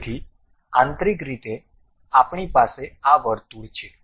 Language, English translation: Gujarati, So, internally we have this circle